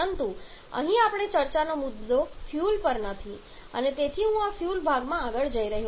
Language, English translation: Gujarati, But our point of discussion here is not on fuel and therefore I am not going into any further going any further into this fuel part